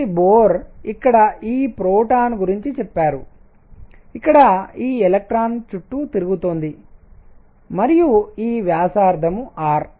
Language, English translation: Telugu, So, what Bohr said is here is this proton, here is this electron going around and this radius r